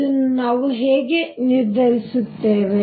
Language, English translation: Kannada, How do we determine that